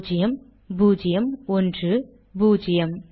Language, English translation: Tamil, Zero, zero, one, zero